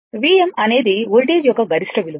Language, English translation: Telugu, V m is the peak value of the voltage